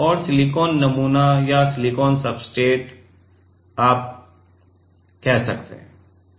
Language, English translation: Hindi, And silicon sample or silicon substrate you can tell ok